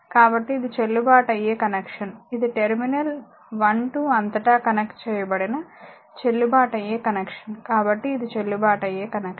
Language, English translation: Telugu, So, it is a valid connection this is a valid connection at they are connected across terminal 1 2 so, it is a valid connection